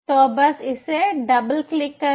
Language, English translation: Hindi, so just double click it